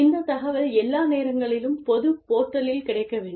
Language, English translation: Tamil, This information should be available, on a public portal, at all times